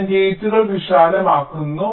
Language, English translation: Malayalam, so i make the gates wider